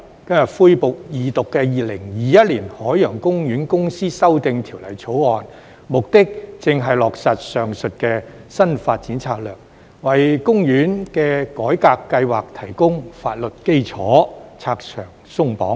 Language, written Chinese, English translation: Cantonese, 今日恢復二讀的《2021年海洋公園公司條例草案》，目的正是落實上述的新發展策略，為公園的改革計劃提供法律基礎，拆牆鬆綁。, The resumption of the Second Reading debate on the Ocean Park Corporation Amendment Bill 2021 the Bill today exactly aims to implement the above mentioned new development strategy provide legal basis for the reform plan of Ocean Park and cut red tape